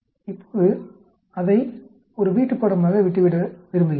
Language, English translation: Tamil, Now I want to leave it as a homework